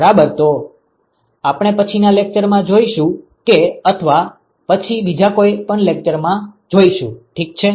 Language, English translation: Gujarati, So, we are going to see that in the next lecture and probably another lecture after that as well ok